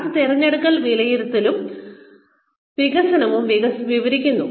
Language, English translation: Malayalam, That describes, selection appraisal and development